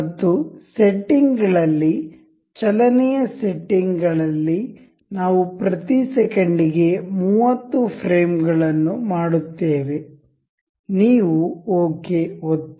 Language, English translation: Kannada, And in the settings, motion settings, we will make the frames per second as say 30, you click ok